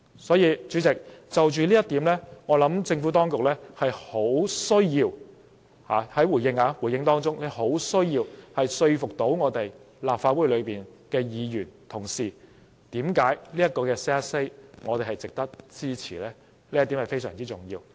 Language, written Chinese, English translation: Cantonese, 因此，主席，就着這一點，我認為政府當局作回應時，必須說服立法會議員，為何這項修正案值得我們支持，這一點非常重要。, Hence Chairman I think when the Administration makes a response later it must convince Legislative Council Members on this point telling us why we should support this amendment . This is very important